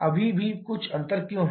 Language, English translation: Hindi, Why there is still some difference